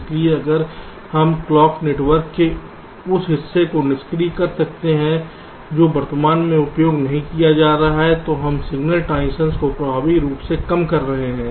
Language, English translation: Hindi, so if we can disable the part of clock network which is not correctly being used, we are effectively reducing the signal transitions quite significantly